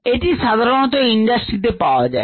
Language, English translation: Bengali, this is used in the industry